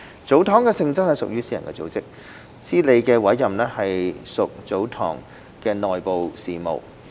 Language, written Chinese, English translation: Cantonese, 祖堂的性質屬私人組織，司理的委任屬祖堂的內部事務。, The appointment of a manager is an internal business of a tsotong